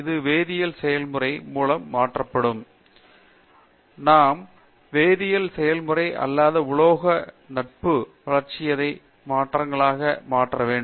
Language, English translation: Tamil, Which is replaced by a chemical process; just we want to convert chemical process into non metallic friendly metabolites